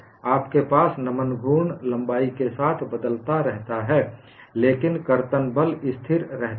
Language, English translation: Hindi, You have the bending moment varies along the length, but the shear force remains constant